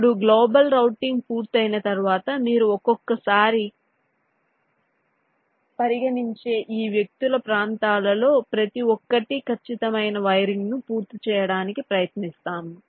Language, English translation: Telugu, now, once a global routing is done, then each of this individuals region, you consider one at a time and try to complete the exact wiring